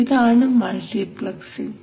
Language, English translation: Malayalam, So this is called multiplexing